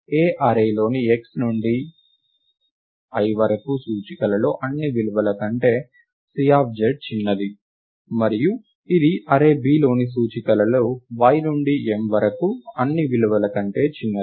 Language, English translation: Telugu, C of z is smaller than all the values in the array A among the region x to l, among the indices x to l and it is smaller than all the values in the array B among the indices y to m